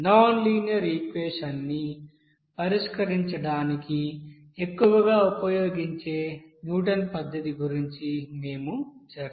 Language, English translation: Telugu, So here we will discuss about that Newton method which are mostly used to solve that nonlinear equation